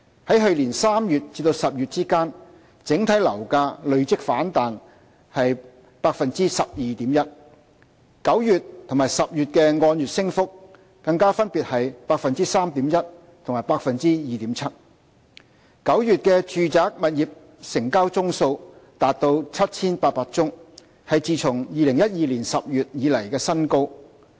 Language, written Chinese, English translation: Cantonese, 在去年3月至10月之間，整體樓價累積反彈了 12.1%，9 月和10月的按月升幅更加分別是 3.1% 和 2.7%；9 月的住宅物業成交宗數達 7,800 宗，是自2012年10月以來的新高。, Overall flat prices rebounded by a total of 12.1 % between March and October last year and the month - on - month increase in September and October even reached 3.1 % and 2.7 % respectively with 7 800 residential property transactions in September marking the highest level since October 2012